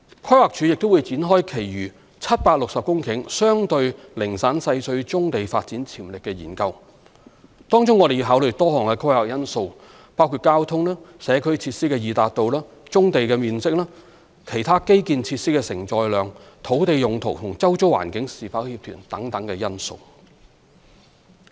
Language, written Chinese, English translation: Cantonese, 規劃署亦會展開其餘760公頃相對零散細碎棕地發展潛力的研究，當中我們要考慮多項規劃因素，包括交通及社區設施的易達度、棕地面積、其他基建設施的承載量、土地用途與周遭環境是否協調等。, The Planning Department will also initiate a study on the development potential of 760 hectares of relatively scattered and fragmented brownfield sites on the basis of a number of planning parameters including the accessibility of transport and community facilities the areas of brownfield sites the capacity of other infrastructural facilities whether their use is compatible with the neighbouring areas etc